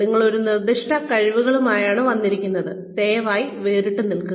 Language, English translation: Malayalam, You have come with a specific set of skills, please remain distinct